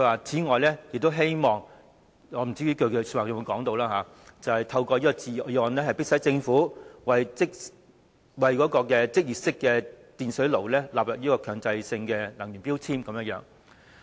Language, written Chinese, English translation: Cantonese, 此外，我不知道他發言時有否說，他亦希望透過中止待續議案，迫使政府把儲水式電熱水器納入強制性能源效益標籤計劃。, In order to pressurize the Government he resorted to proposing an adjournment motion . By doing so he also wished to force the Government to include instantaneous electric water heaters in the Mandatory Energy Efficiency Labelling Scheme MEELS . I am not sure if this point was mentioned in his speech